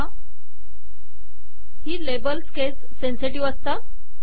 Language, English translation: Marathi, The labels are case sensitive